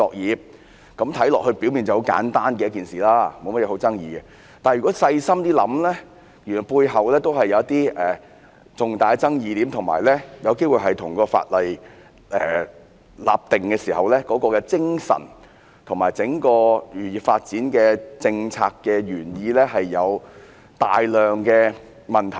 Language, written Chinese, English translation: Cantonese, 是次修例表面看起來是一件很簡單的事，沒有太大爭議；但如果細心想想，原來背後還是有一些重大的爭議點，而且有機會令《漁業保護條例》的立法精神及整個漁業發展政策的原意出現大量問題。, The amendment this time seems simple and uncontroversial . However if we think about it carefully there are actually major controversies which may give rise to numerous problems concerning the legislative spirit of the Fisheries Protection Ordinance Cap . 171 and the original intent of the fisheries policies